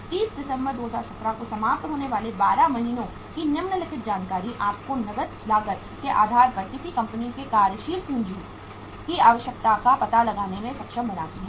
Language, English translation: Hindi, The following information for 12 months ending on 31st December 2017 are given to enable you to ascertain the requirement of working capital of a company on cash cost basis